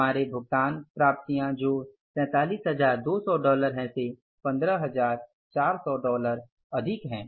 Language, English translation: Hindi, Our payments are all these which are more than $47,200 by $15,400